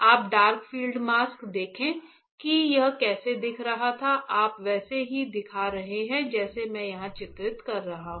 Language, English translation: Hindi, You see the dark field mask how it was looking you are looking same like what I am drawing here